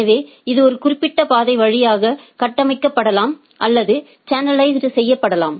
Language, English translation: Tamil, So, it can be configured or channelized through a particular path